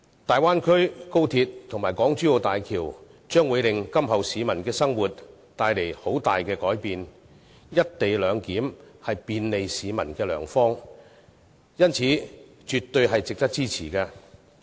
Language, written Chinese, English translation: Cantonese, 大灣區、高鐵及港珠澳大橋將為市民今後的生活帶來很大改變，而"一地兩檢"是便利市民的良方，故絕對值得支持。, The Bay Area XRL and HZMB will greatly transform the way people live from now on and given that the co - location arrangement is an effective way to bring convenience to people it is absolutely worthy of support